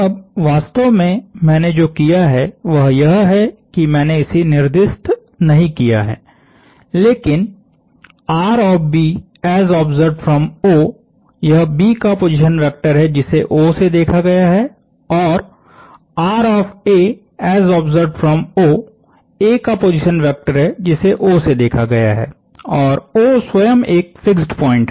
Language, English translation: Hindi, Now, what I have essentially done is I have not indicated this, but this is the position vector of B as observed from O, the position vector of A as observed from O, and O itself is a fixed point in this case